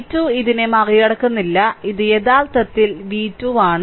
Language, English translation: Malayalam, Hold on v 2 do not over loop this, this is actually v 2 right